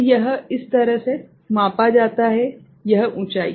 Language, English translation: Hindi, So, this is the way it is measured, this height